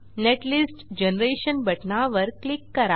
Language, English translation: Marathi, Click on netlist generation button